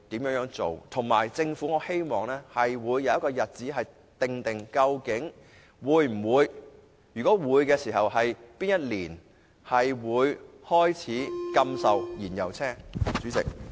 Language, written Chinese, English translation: Cantonese, 我亦希望政府公布會否訂定禁售燃油車輛的確切日期，如果會，當局會在哪一年開始實行？, I also hope that an announcement will be made by the Government to inform the public whether it will propose a concrete date for the prohibition of sale of fuel - engined vehicles and if so in which year will the measure be implemented?